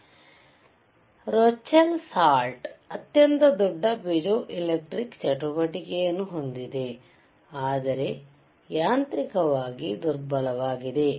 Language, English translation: Kannada, So, Rochelle salt has the greatest piezoelectric activity, but is mechanically weakest